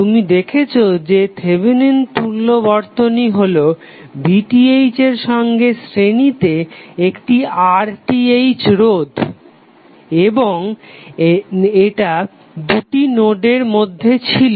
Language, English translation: Bengali, You saw that the Thevenin equivalent was nothing but V Th in series with another resistance called R Th and this was consider between two nodes